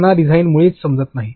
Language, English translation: Marathi, They do not understand design at all